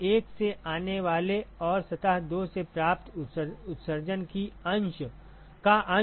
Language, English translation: Hindi, The fraction of emission that comes from surface 1 and received by surface 2 is A1J1F12